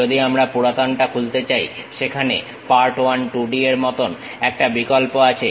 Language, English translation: Bengali, If we want to Open the older one, there is option like Part1 2D